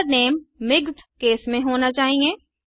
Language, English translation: Hindi, The method name should be the mixed case